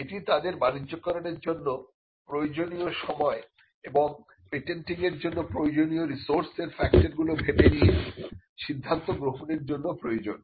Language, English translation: Bengali, Now, this is a call they need to factor that time that is required to commercialize and that decision on the resources needed for patenting